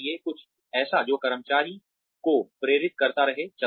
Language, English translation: Hindi, Something that keeps motivating the employee, to keep going